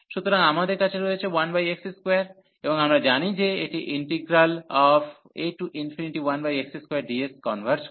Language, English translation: Bengali, So, we have 1 over x square and we know, this integral as a to infinity 1 over x square that converges